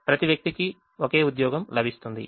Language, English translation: Telugu, each person gets only one job